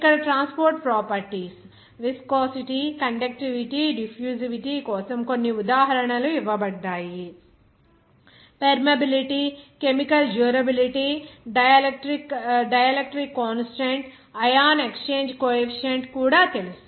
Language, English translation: Telugu, Like here, some examples are given for transport properties, viscosity, conductivity, diffusivity, even you know that permeability, chemical durability, dielectric constant, ion exchange coefficient